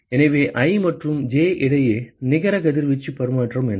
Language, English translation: Tamil, So, what is the net radiation exchange between i and j